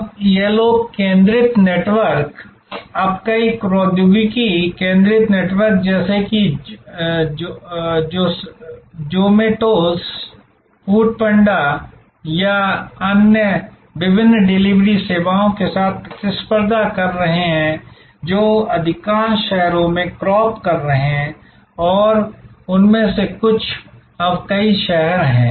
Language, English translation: Hindi, Now, this people centric network, now in competition with many technology centric networks like the Zomatos, the Food Panda and or various other delivery services that are cropping up in most cities and some of them are now multiple cities